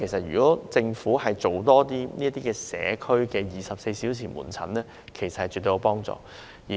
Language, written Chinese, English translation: Cantonese, 如果政府提供這類社區24小時門診服務，其實絕對是好事。, It is definitely a good thing if the Government provides such 24 - hour outpatient service in the local community